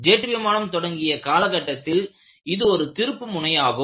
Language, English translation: Tamil, It was the turning point in the early start of the jet age